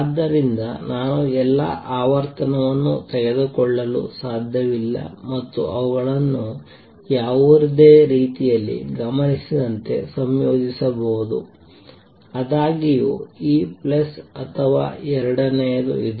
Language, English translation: Kannada, So, I cannot take all the frequency and combine them in any manner like, what is observed; however, is this plus this or second one this plus this